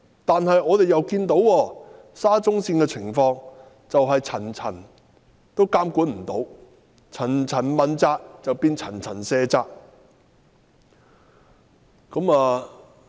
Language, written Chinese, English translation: Cantonese, 可是，我們又看到沙中線的情況是層層未能好好監管，層層問責變成層層卸責。, Nevertheless the situation of SCL tells us that monitoring has not been properly done at different tiers and accountability at different tiers has become shirking of responsibility at different tiers